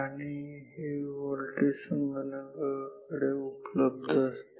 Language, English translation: Marathi, And, these voltages are available to the computer